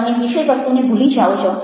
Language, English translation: Gujarati, you are forgetting about the content